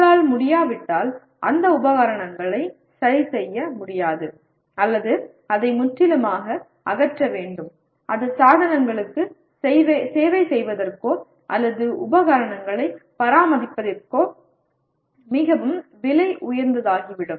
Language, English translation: Tamil, If you cannot, that equipment cannot be repaired or it has to be so totally dismantled it becomes very expensive to service the equipment or maintain the equipment